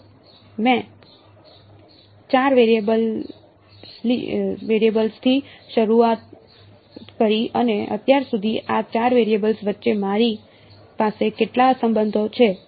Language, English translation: Gujarati, So, I started with 4 variables and how many relations do I have between these 4 variables so far